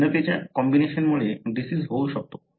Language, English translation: Marathi, A combination of variant could result in a disease